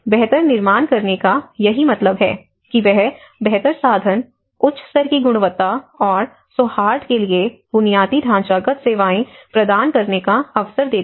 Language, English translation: Hindi, So, this is what the built back better means opportunity to provide basic infrastructure services to high level of quality and amenity